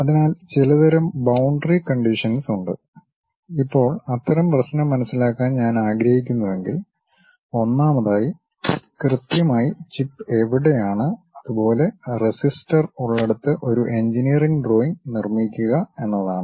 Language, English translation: Malayalam, So, certain kind of boundary conditions are there; now, if I would like to understand such kind of problem what I have to do is, first of all construct an engineering drawing based on where exactly chip is located, where resistor is present